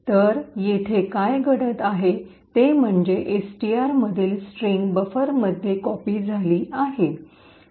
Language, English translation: Marathi, So, what is happening here is that is which is present in STR is copied into buffer